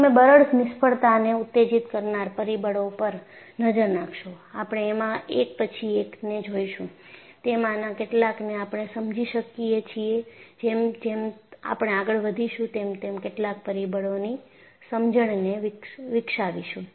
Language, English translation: Gujarati, And if you look at the factors that triggered a brittle failure,we will see one by one; some of them we willbe able to understand; some of them we will develop the understanding, as we go by